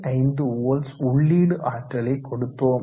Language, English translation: Tamil, 5 volts and the current is close to 1